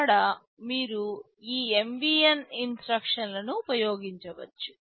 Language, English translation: Telugu, There you can use this MVN instruction